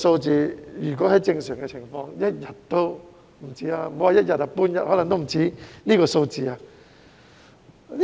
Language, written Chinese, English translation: Cantonese, 在正常情況下，莫說是一天，半天可能也不止這個數字。, Under normal circumstances the figures should surpass this in a day or even half a day